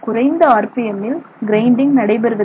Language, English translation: Tamil, However, so low RPM have effective grinding